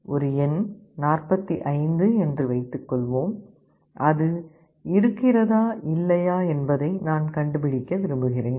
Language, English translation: Tamil, I want to find out whether a number, let us say 45, is present or not